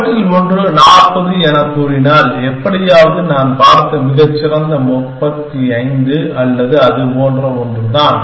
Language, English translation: Tamil, And if these one of them happens to be let us say 40, somehow and the best that I have seen is only 35 or something like that